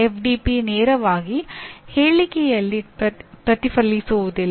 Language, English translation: Kannada, FDP does not directly get reflected in the statement